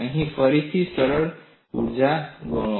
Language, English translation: Gujarati, Here, again, do the simple calculation